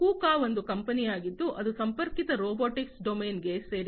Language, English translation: Kannada, KUKA is a company, which is into the connected robotics domain